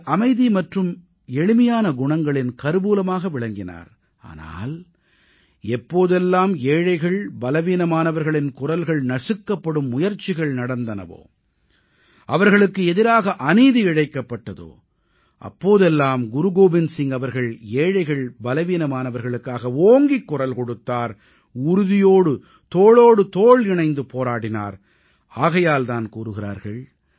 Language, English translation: Tamil, He was bestowed with a quiet and simple personality, but whenever, an attempt was made to suppress the voice of the poor and the weak, or injustice was done to them, then Guru Gobind Singh ji raised his voice firmly for the poor and the weak and therefore it is said